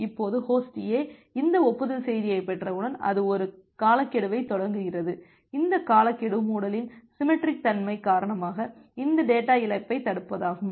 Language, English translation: Tamil, Now, once Host A receive these acknowledgement message it starts a timeout, this timeout is to prevent these data loss due to the symmetric nature of the closure